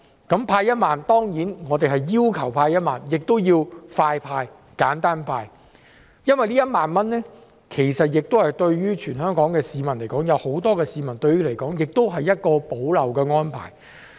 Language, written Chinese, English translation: Cantonese, 對於派發1萬元，我們除要求派發1萬元外，也要求加快派、簡單派，因為這1萬元對全港很多市民來說，也是一項補漏的安排。, In this connection we ask that the 10,000 be given out more quickly and simply because it is an arrangement to fill the omissions for many Hong Kong people